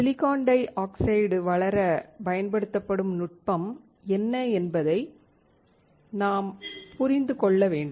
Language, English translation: Tamil, We have to understand what is the technique used to grow silicon dioxide